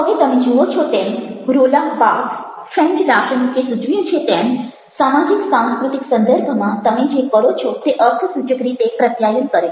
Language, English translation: Gujarati, now you see that, ah, roland barthes, a french philosopher, suggests that everything that you do in a social, cultural context communicates significantly